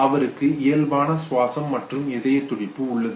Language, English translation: Tamil, He has normal breathing and heartbeat